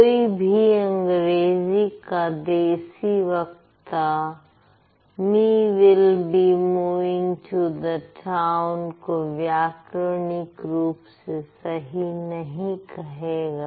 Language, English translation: Hindi, So, no native speaker of English is going to consider it, me will be moving to the town is grammatically correct